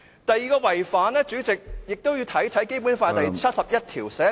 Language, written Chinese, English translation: Cantonese, 第二個違反，主席，《基本法》第七十一條寫明......, The second violation President concerns the Basic Law . Article 71 states that